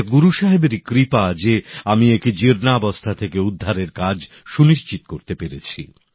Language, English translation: Bengali, It was the blessings of Guru Sahib that I was able to ensure its restoration